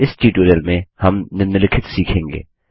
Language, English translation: Hindi, In this tutorial we will learn the following